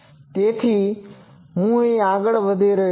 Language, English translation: Gujarati, So, I am not further proceeding